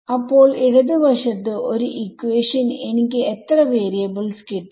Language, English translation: Malayalam, So, left hand side I have got one equation in how many variables